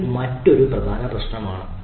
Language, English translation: Malayalam, so that is another problem